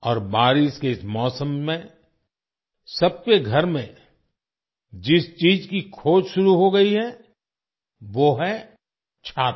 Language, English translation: Hindi, And during this rainy season, the thing that has started being searched for in every home is the ‘umbrella’